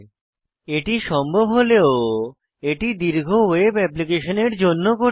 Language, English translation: Bengali, Even though this is possible, it is difficult to do for large web applications